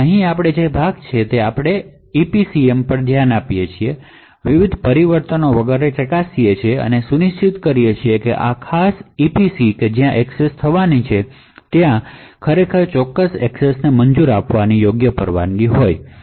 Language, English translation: Gujarati, Now over here we is the part where we actually look into the EPCM check the various permissions and so on and ensure that this particular EPC where is going to be accessed has indeed the right permissions to permit that particular access